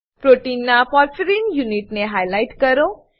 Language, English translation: Gujarati, * Highlight the porphyrin units of the protein